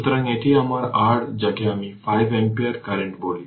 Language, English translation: Bengali, So, this is my your what you call 5 ampere current